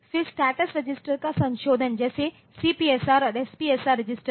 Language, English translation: Hindi, Then modification of the status registers like the CPSR and SPSR register